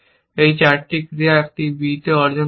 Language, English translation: Bengali, So, you will achieve on a b